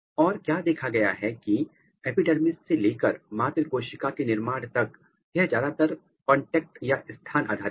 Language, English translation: Hindi, And, what has been seen that from epidermis to mother cell formation it is mostly contact dependent, position dependent